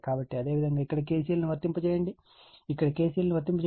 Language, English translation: Telugu, So, similarly you have to apply KCL here, you have to apply KCL here